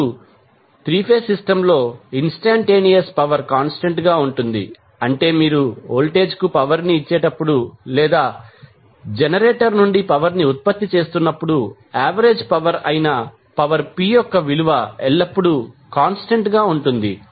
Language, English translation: Telugu, Now, the instantaneous power in a 3 phase system can be constant that means that when you power the voltage or the power is being generated from the generator the value of power p that is average power will always be constant